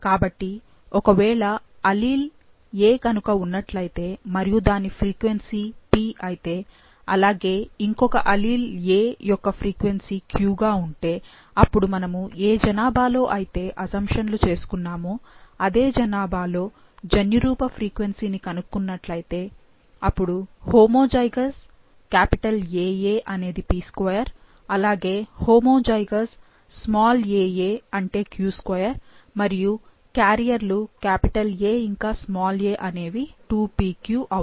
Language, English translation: Telugu, So, it was proposed that if there is a allele “A” and its frequency is “P”, similarly there is another allele “a” and its frequency is “q”, now, if you calculate the genotype frequency in the same population, the population with these assumptions, then a homozygous “AA” will p2, a homozygous small “aa” that is q2, excuse quiet and the carriers that is capital A and a would be 2pq